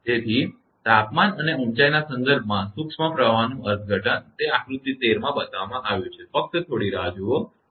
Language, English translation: Gujarati, So, an interpretation of particle flow in relation to the temperature and height it is shown in figure 13, right just hold on